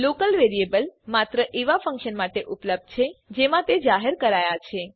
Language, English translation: Gujarati, A local variable is available only to the function inside which it is declared